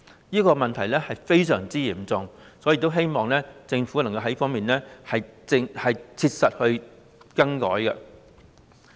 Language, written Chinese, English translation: Cantonese, 這個問題非常嚴重，因此我希望政府能夠在這方面切實作出改變。, This is a very serious problem so I hope the Government can make some changes in earnest in this regard